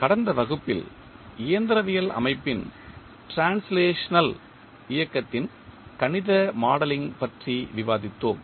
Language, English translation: Tamil, In last class we discussed about the mathematical modelling of translational motion of mechanical system